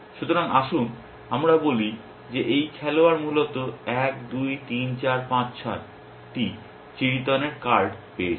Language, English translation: Bengali, So, let us say this player has got 1, 2, 3, 4, 5, 6 cards of clubs essentially